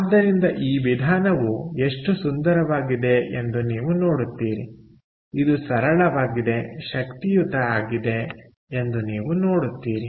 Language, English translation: Kannada, so you see how beautiful this method is, its so simple, yet so powerful, right